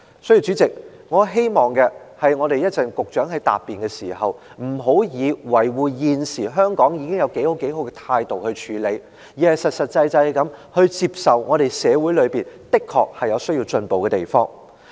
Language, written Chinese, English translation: Cantonese, 所以，主席，我希望稍後局長在答辯時，不要以辯護的態度來處理，說現時香港已經有多好，而是實實際際地接受社會的確有需要進步的地方。, President I therefore hope that the Secretary will not get defensive and argue that Hong Kong is good enough when he gives his reply later . Instead I hope he will be practical and accept that our society really has room for improvement